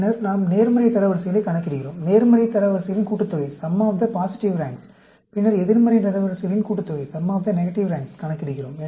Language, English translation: Tamil, Then, we calculate the positive ranks, sum of the positive ranks and then, we calculate the sum of the negative ranks